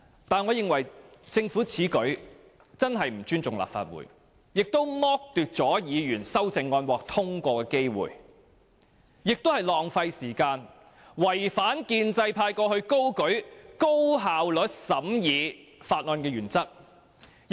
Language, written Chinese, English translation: Cantonese, 但是，我認為政府此舉真的不尊重立法會，也剝奪議員修正案獲得通過的機會，既浪費時間，也違反建制派過去高舉高效率審議法案的原則。, Yet in my view the Government in taking this action disrespects the Council and deprives Members of the chance to pass their amendments . Moving this motion not just wastes time but also violates the principle of effective scrutiny of bills advocated by pro - establishment Members in the past